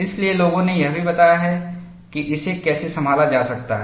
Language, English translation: Hindi, So, people have also devised how this could be handled